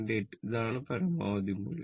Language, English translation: Malayalam, 8 this is the maximum value